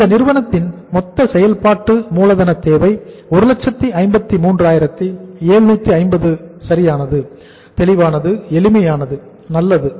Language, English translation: Tamil, So total working capital requirement of this company is 1,53,750 right, clear, simple, good